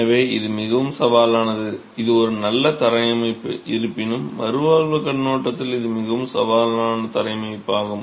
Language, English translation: Tamil, So this is a rather challenging, it's a good flooring system however from a rehabilitation point of view it's a very challenging flow system